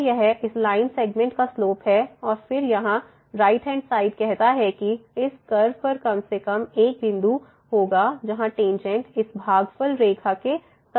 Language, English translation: Hindi, So, this is the slope of this line segment and then the right hand side here says that there will be at least one point on this curve where the tangent will be parallel to this quotient line